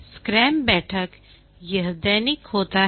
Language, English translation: Hindi, The daily scrum meeting is done every day